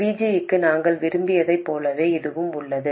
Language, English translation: Tamil, And it is exactly the same as what we wanted for VG